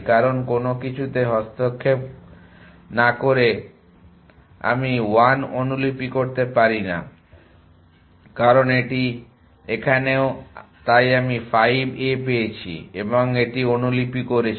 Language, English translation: Bengali, Because the does not interfere with anything 1 I cannot copy, because it is here so I got to 5 and copy that